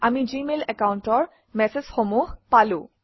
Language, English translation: Assamese, We have received messages from the Gmail account